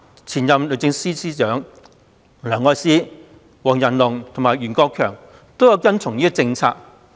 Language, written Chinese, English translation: Cantonese, 前任律政司司長梁愛詩、黃仁龍及袁國強皆有跟從這政策。, The Secretary for Justice of previous terms including Elsie LEUNG WONG Yan - lung and Rimsky YUEN also adhered to this policy